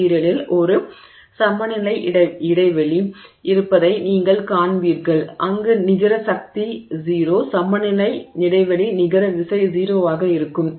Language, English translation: Tamil, So, you will see that there is a equilibrium spacing in the material where the net force is zero, equilibrium spacing where the net force is zero